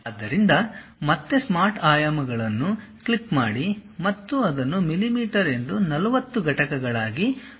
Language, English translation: Kannada, So, again click the Smart Dimensions and use it to be 40 units like millimeters ok